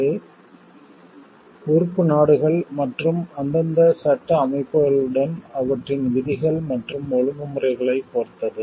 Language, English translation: Tamil, It depends on the member countries and their rules and regulations with their respective legal system